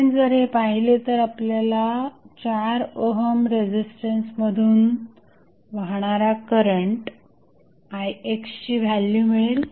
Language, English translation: Marathi, Ix is depending upon the current which is flowing through the 4 ohm resistance